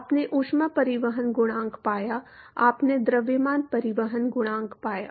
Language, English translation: Hindi, You found the heat transport coefficient, you found the mass transport coefficient